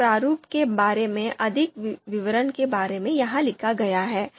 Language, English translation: Hindi, The few details about this format on how this is to be written are here